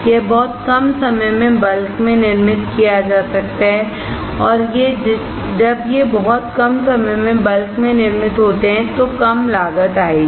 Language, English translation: Hindi, It can be manufactured in bulk in very less time and when these are manufactured in bulk in very less time will result in low cost